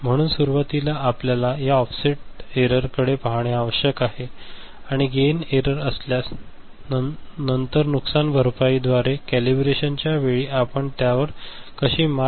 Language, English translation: Marathi, So, initially we have to look at this offset error, gain error, if there is any, and then we look at how we overcome it through compensation, during calibration right